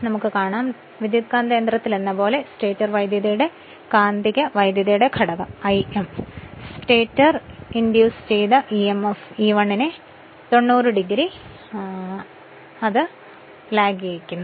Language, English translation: Malayalam, So, number 2 like in a transformer the magnetizing current component I m of the stator current lags the stator induced emf E1by 90 degree same as before